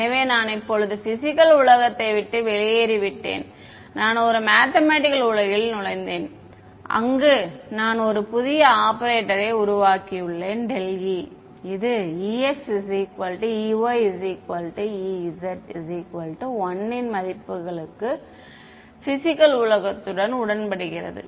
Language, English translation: Tamil, So, I am now left the physical world away I have entered a mathematical world where I have created a new operator called del E which agrees with physical world for values of ex E y E z equal to 1